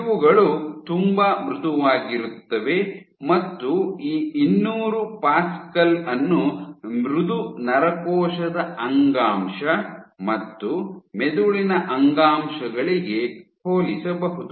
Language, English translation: Kannada, So, these are very soft, this 200 pascal is comparable to soft you know neuronal tissue brain tissue